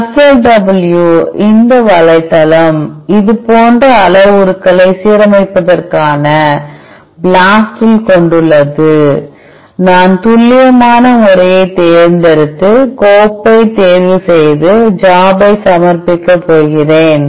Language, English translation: Tamil, CLUSTAL W this website also asked parameters which are similar to the, which we found in BLAST for alignment, I am going to be choose the accurate method and choose the file and, submit the job